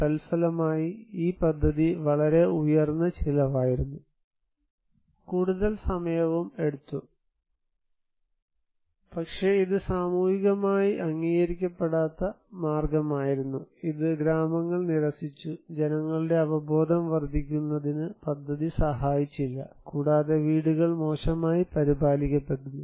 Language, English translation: Malayalam, As a result, this project was very high cost and took some time but it was most way that socially not accepted, it was rejected by the villages and the project did not help to enhance people's awareness and the houses are poorly maintained